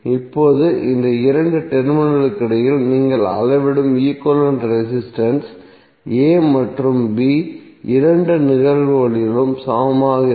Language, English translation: Tamil, Now the equivalent resistance which you will measure between these two terminal a and b would be equal in both of the cases